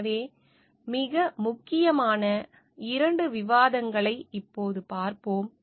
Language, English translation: Tamil, So, we will look now into the very two important discussions